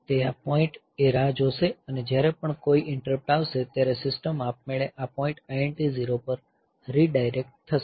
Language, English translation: Gujarati, So, it will be waiting at this point and whenever an interrupt will come, the system will automatically be redirected to this point, the I N T 0